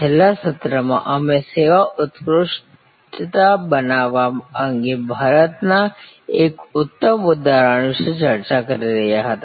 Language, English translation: Gujarati, In the last session, we were discussing about a great example from India about creating service excellence